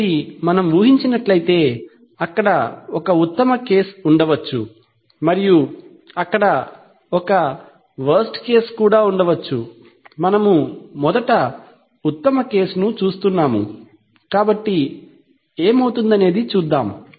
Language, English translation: Telugu, So imagine that, this is a, there could be a best case and there could be a worst case, so we are first looking at the best case, so what could happen is that